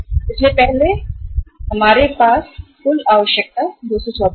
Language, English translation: Hindi, So earlier when we had say 224 is the total requirement